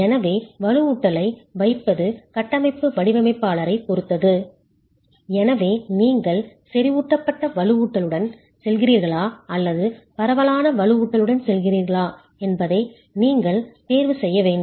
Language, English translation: Tamil, So, this is the placement of the reinforcement is up to the structural designer and therefore that is one choice you need to make whether you are going with a concentrated reinforcement or a spread reinforcement